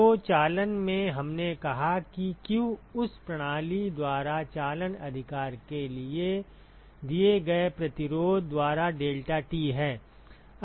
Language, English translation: Hindi, So, in conduction, we said that q is deltaT by the resistance offered by that system for conduction right